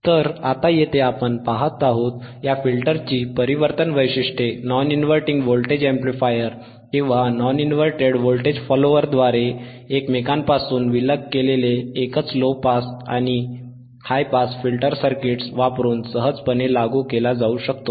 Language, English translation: Marathi, Tthe transformation of this filter the transformation of these filter characteristics can be easily implemented using a single low pass and high pass filter circuits isolated from each other by non inverting voltage amplifier or non inverted voltage follower